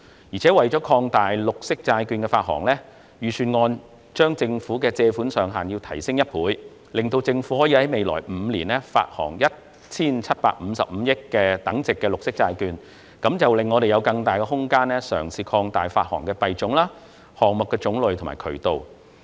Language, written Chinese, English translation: Cantonese, 此外，為擴大綠色債券發行，預算案將政府的借款上限提升一倍，讓政府可在未來5年發行 1,755 億元等值的綠色債券，令我們有更大空間嘗試擴大發行的幣種、項目種類和發行渠道。, In addition in order to expand the issuance of green bonds the Budget proposes to double the borrowing ceiling of the relevant programme to allow for issuance of green bonds totalling 175.5 billion within the next five years . This will give us more room for piloting the issuance of green bonds that involves more types of currencies project types and issuance channels